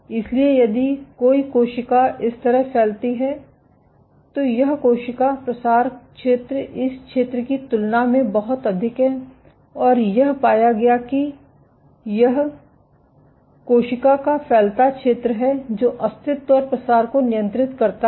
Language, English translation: Hindi, So, if a cell spreads like this this cell spreading area is much greater than this area and what it was found that it is the cell spreading area which regulates survival and proliferation